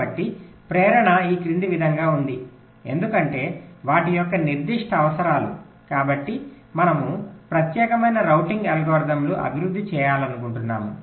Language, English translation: Telugu, ok, so the motivation is as follows: because of their very specific requirements, so we want to develop or formulate specialized routing algorithms